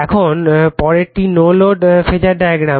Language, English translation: Bengali, Now next is no load phasor diagram